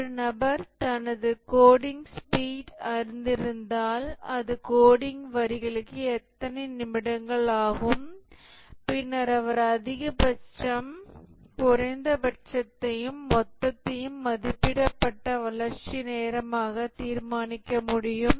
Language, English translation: Tamil, If a individual knows his coding speed, that is how many minutes per lines of code, then he can determine the maximum, minimum and total or the estimated development time